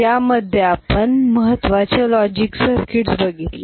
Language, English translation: Marathi, So, we looked at logic circuits, important logic circuits